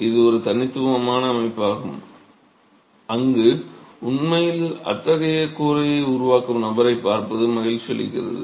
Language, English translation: Tamil, So, this is a unique system where it is a pleasure to see the person who is actually making this sort of a roof